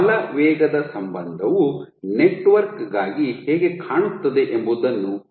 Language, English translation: Kannada, So, now let us see how will the force velocity relationship look for a network